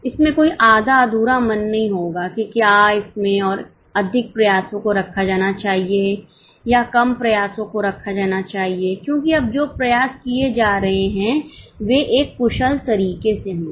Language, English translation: Hindi, There will not be any half heartedness, whether it's more efforts being put or less efforts being put, because now the efforts being put would be in an efficient manner